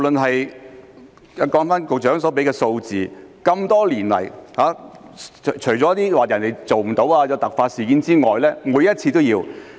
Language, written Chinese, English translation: Cantonese, 按照局長所說的數字，多年來除了有些法官未能配合或遇有突發事件外，每次都是有需要的。, According to the figures mentioned by the Chief Secretary with the exception of unavailability of judges or unforeseen circumstances it is always necessary over the past years